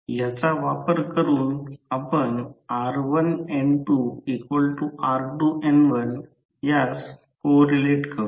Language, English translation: Marathi, So, using this you can correlate that r1N2 is equal to r2N1